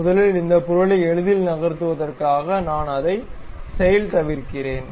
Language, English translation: Tamil, First of all I am undoing it, so that this object can be easily moving